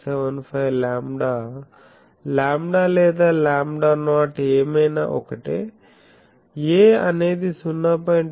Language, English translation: Telugu, 75 lambda, lambda or lambda not whatever, a is 0